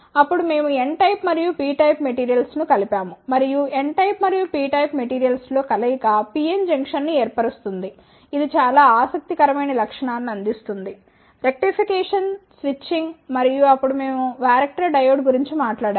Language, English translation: Telugu, Then, we combined the N type of and P type of materials and the combination of N type and P type of material forms a PN junction, which provides a very interesting feature like; rectification, switching, then we talked about the varactor diode